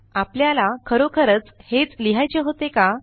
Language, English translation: Marathi, Now is this really what we wanted to write